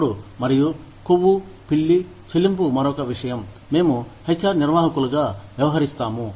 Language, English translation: Telugu, Then, fairness and fat cat pay, is another thing, that we deal with, as HR managers